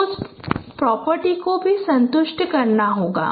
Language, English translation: Hindi, So it should satisfy that property also